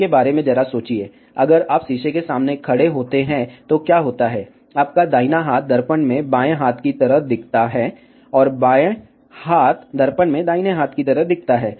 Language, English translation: Hindi, Just think about it, if you stand in front of a mirror, then what happens your right hand looks like a left hand in the mirror, and left hand looks like a right hand in the mirror